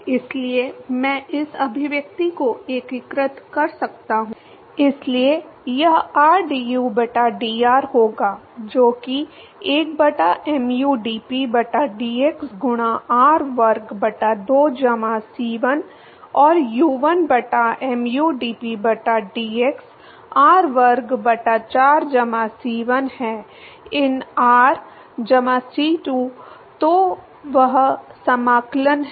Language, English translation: Hindi, So, I can integrate this expression, so it will be rdu by dr, that is equal to 1 by mu dp by dx into r square by 2 plus c1 and u is 1 by mu dp by dx, r square by 4 plus c 1 ln r plus C2, so that is the integral